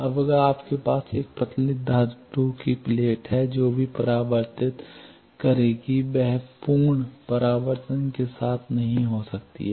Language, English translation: Hindi, Now, if you have a thin metal plate that also will re plate may not be with full reflection